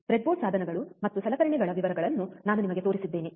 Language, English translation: Kannada, And I have shown you the breadboard devices and the details about the equipment, right